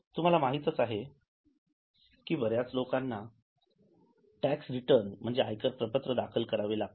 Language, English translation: Marathi, As you are aware, most of the people have to file income tax returns